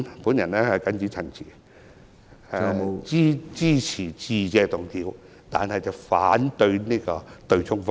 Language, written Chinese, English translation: Cantonese, 我謹此陳辭，支持致謝議案，反對對沖方案。, I so submit and support the Motion of Thanks and oppose the Governments offsetting arrangement